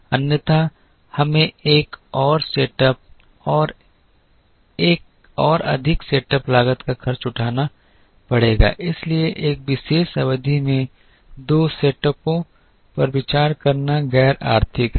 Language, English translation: Hindi, Otherwise we will have to incur one more setup and one more setup cost, therefore it is uneconomical to consider two setups in a particular period